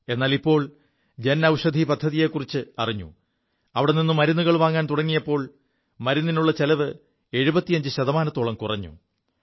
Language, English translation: Malayalam, But now that he's come to know of the Jan Aushadhi Kendra, he has begun purchasing medicines from there and his expenses have been reduced by about 75%